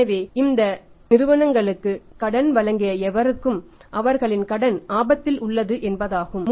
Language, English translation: Tamil, So it means anybody who had supplied credit to these companies their credit is at risk